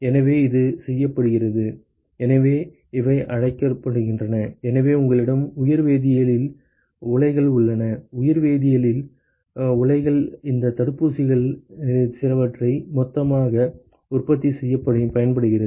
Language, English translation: Tamil, So, this is done in; so these are called as; so you have biochemical reactors; biochemical reactors, which can be used for producing some of these vaccines in the bulk quantity